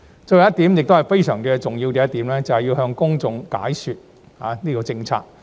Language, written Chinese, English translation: Cantonese, 最後一點，亦是非常重要的一點，便是向公眾解說政策。, The last point also a very important one is about explaining policies to the public